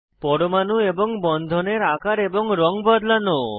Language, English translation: Bengali, Change the color of atoms and bonds